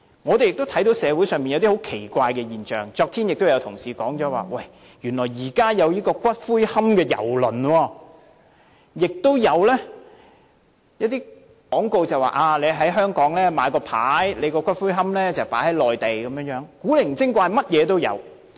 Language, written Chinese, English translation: Cantonese, 我們亦看到社會上出現了一些很奇怪的現象，昨天也有同事提到原來現在有"骨灰龕郵輪"，亦有廣告指可以在香港先買牌位，然後把骨灰龕放在內地，千奇百怪，無奇不有。, We have also noticed some weird phenomena in society . As stated by an Honourable colleague yesterday actually there is a cruise columbarium and there are also advertisements claiming that people may purchase memorial tablets in Hong Kong before housing niches on the Mainland showing that our society is never short of oddities and nothing is too bizarre